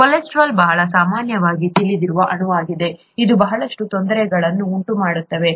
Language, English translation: Kannada, Cholesterol, is a very common, commonly known molecule, it was supposed to cause a lot of difficulty